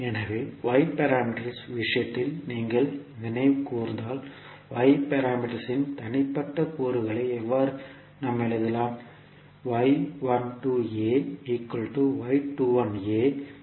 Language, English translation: Tamil, So, if you recollect in case of Y parameters how we compile the individual elements of Y parameters